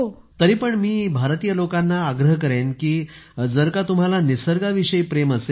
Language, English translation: Marathi, But even then I will urge the people of India that if you love nature,